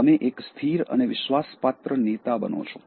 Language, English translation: Gujarati, You become a stable and dependable leader